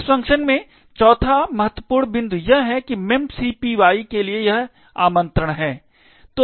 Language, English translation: Hindi, The fourth critical point in this function is this invocation to memcpy